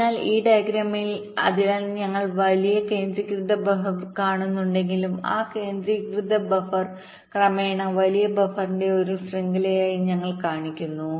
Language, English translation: Malayalam, so although we are seeing big centralized buffer, that centralized buffer we are showing as a chain of progressively larger buffer